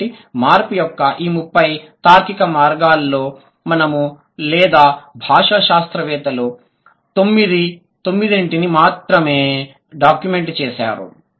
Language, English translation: Telugu, So out of this 30 logically possible path of change, we have documented or the linguists have documented only nine, right